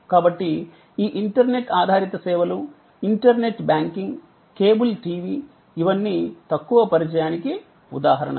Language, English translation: Telugu, So, these internet based service, internet banking, cable TV, these are all examples of low contact